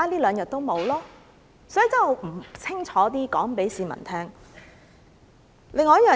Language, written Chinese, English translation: Cantonese, 所以，我必須清楚告訴市民這一點。, And I must make this clear to the public